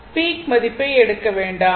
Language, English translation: Tamil, Do not take your peak value right